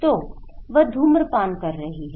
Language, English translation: Hindi, So, she is smoking